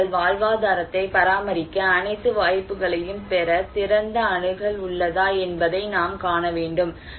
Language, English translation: Tamil, Some people whether the people have open access to get all the opportunities to maintain their livelihood or not